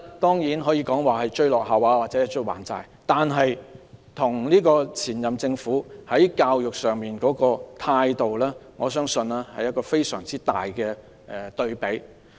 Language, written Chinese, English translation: Cantonese, 當然，這可以說是追落後或還債，但與上屆政府對教育工作的態度是非常大的對比。, Of course this was nothing more than making up the shortfall or settling the debt . But the attitude of this Government towards education does contrast sharply with that of its predecessor